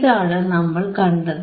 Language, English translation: Malayalam, And what we see here